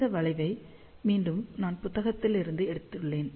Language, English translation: Tamil, So, this curve again I have taken from the cross book